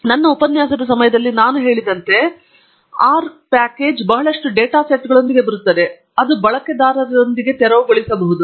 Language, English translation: Kannada, Now, as I had mentioned during my lecture, the R package comes with a lot of data sets that the user can clear on with